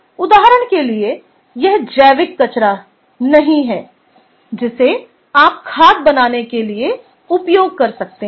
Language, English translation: Hindi, for example, its not organic waste which you can composed to give rise to manure